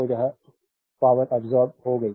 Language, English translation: Hindi, So, this power absorbed